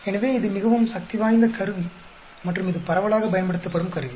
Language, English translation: Tamil, So, it is a very powerful tool and it is a widely used tool